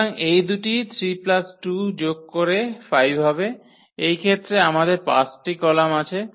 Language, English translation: Bengali, So, this two 3 plus 2 will add to that 5 in this case we have 5 columns